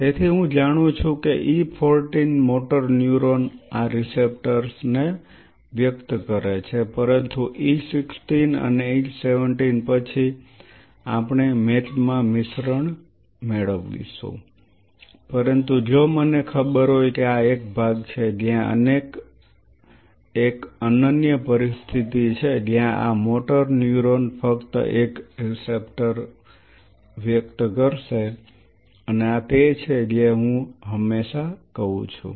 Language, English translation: Gujarati, So, I know that say at E 14 motor neuron expresses this receptor, but after by E 16 or E 17 there we gain a mix up mix in match is going to happen, but if I know this is a zone where there is a unique situation that these motor neurons will be exclusively expressing a receptor and this is where I always say